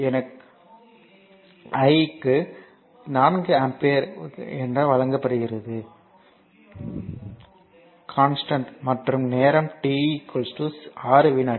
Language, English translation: Tamil, So, i is given 4 ampere this is your 4 ampere the constant and your time t is 6 second